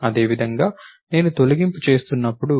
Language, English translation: Telugu, Similarly, when I am doing deletion